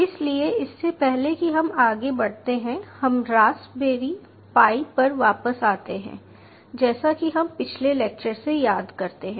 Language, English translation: Hindi, ok, so before we go into this any further, lets come back to the raspberry pi, as we remember from the last lecture